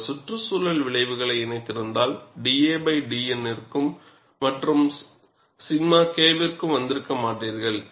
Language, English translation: Tamil, If he had combined the environmental effects, you would not have arrived at d a by d N versus delta K